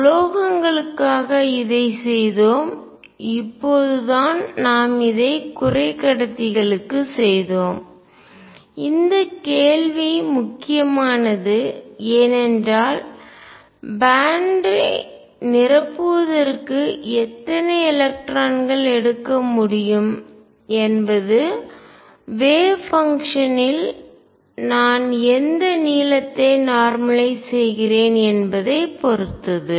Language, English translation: Tamil, We did this for metals we did this for semiconductors just now and this question is important because filling of bands how many electrons can take depends on precisely over what length am I normalize in the wave function